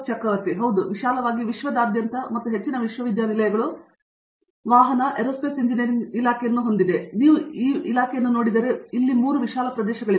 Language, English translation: Kannada, Yeah, broadly across the world and most universities, if you look at vehicle Aerospace Engineering Department, there are 3 broad areas